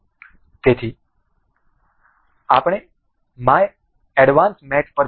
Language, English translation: Gujarati, So, we will go to advanced mate